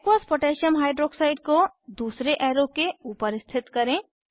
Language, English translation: Hindi, Position Aqueous Potassium Hydroxide (Aq.KOH) close to second arrow